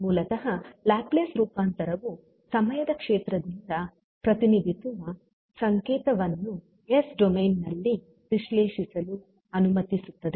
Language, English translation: Kannada, So, basically the Laplace transform allows a signal represented by a time domain function to be analyzed in the s domain